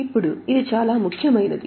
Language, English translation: Telugu, Now this is a very important note